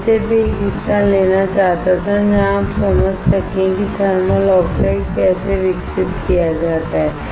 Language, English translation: Hindi, I just wanted to take a part where you can understand how the thermal oxide is grown